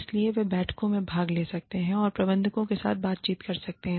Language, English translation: Hindi, So, they can attend meetings, and interact with the managers